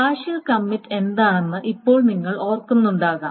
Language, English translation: Malayalam, Now you may remember what a partial commit is